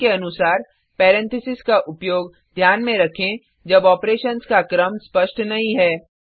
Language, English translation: Hindi, As a rule, keep in mind to use parentheses when the order of operations is not clear